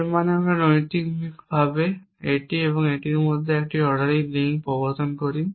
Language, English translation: Bengali, It means we in introduce the casual an ordering link between this and that